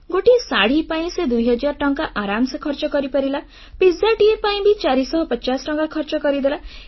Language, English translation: Odia, She coolly spent two thousand rupees on a sari, and four hundred and fifty rupees on a pizza